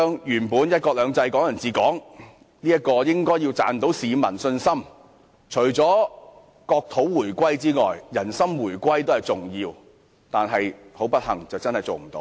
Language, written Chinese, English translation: Cantonese, "一國兩制"、"港人治港"本應可贏取市民信心，除了國土回歸外，人心回歸也很重要，但不幸地，這無法做到。, Apart from the return of territory it is also important to achieve the return of peoples hearts . But unfortunately this has not been achieved